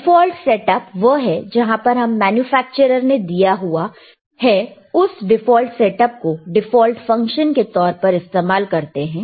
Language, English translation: Hindi, Ddefault setup is whatever the setup is given by the manufacturer, default setup we can we can use as a default function